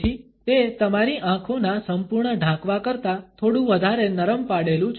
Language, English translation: Gujarati, So, it is a little bit more diluted than the full out covering of your eyes